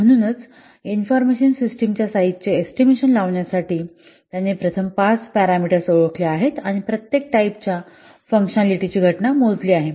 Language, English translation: Marathi, So, in order to estimate the size of an information system, he has counted, he has first identified five parameters and counted the occurrences of each type of functionality